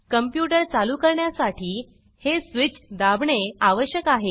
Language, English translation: Marathi, To turn on the computer, one needs to press this switch